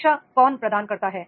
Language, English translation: Hindi, Who provides education